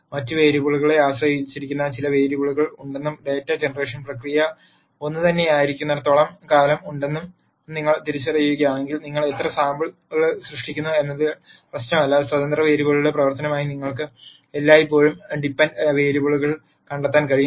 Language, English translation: Malayalam, And if you identify that there are certain variables which are dependent on other variables and as long as the data generation process is the same, it does not matter how many samples that you generate, you can always nd the de pendent variables as a function of the independent variables